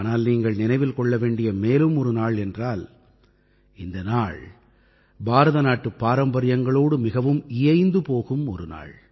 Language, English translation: Tamil, But, there is one more day that all of us must remember; this day is one that is immensely congruent to the traditions of India